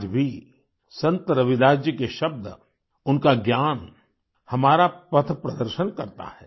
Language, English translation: Hindi, Even today, the words, the knowledge of Sant Ravidas ji guide us on our path